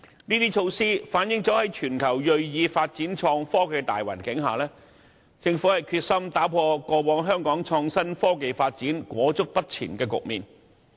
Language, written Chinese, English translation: Cantonese, 這些措施反映政府在全球銳意發展創科的大環境下，決心打破香港過往在創新科技發展方面裹足不前的局面。, All of these initiatives also reflect the Governments resolve to address the stagnant development of innovation and technology in Hong Kong given the general climate of pursuing innovation and technology development around the world